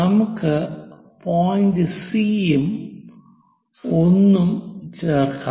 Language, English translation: Malayalam, So, let us name this point C and D